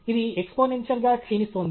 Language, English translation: Telugu, It is exponentially decaying okay